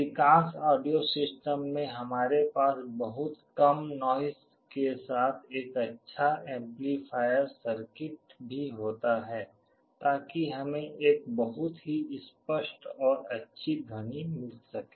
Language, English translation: Hindi, In most audio systems we also have a good amplifier circuit with very low noise so that we get a very clear and nice sound